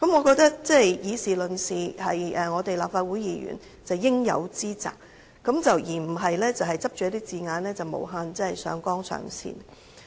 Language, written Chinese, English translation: Cantonese, 我認為以事論事是立法會議員應有之責，而不應執着一些字眼，無限上綱上線。, I am of the view that it is due responsibility of a Legislative Council Member to comment on various issues in a matter - of - fact manner instead of picking on some words and unlimitedly overplaying the matter